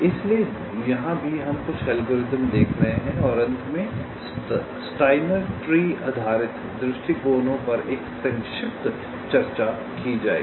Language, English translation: Hindi, so here also we shall be looking up a couple of algorithms and finally, a brief look at steiner tree based approaches shall be ah discussed now